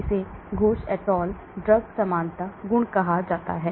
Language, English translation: Hindi, This is called Ghose et al drug likeness property